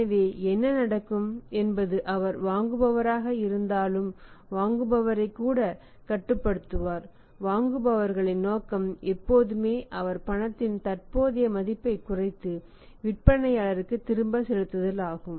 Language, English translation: Tamil, So, what will happen he would restrict the buyer even the buyer despite being the buyer when we say the buyers intention is always to minimise the present value of the money he is paying back to the seller